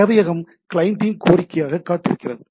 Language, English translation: Tamil, The server is always waiting for a client to be request